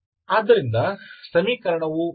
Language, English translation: Kannada, So, what is the equation